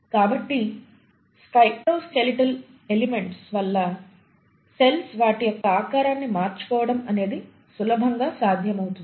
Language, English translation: Telugu, So it is possible easily because of the cytoskeletal elements for the cells to change their shape